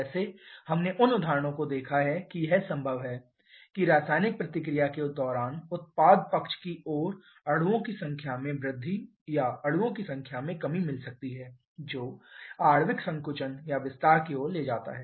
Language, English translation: Hindi, Like we have seen the examples it is possible that during a chemical reaction we can have an increase in the number of molecules on the product side compared to the reactant side or a decrease in the number of molecules leading to molecular contraction or expansion